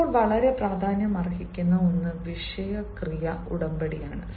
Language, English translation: Malayalam, now, something of at most important is subject: verb agreement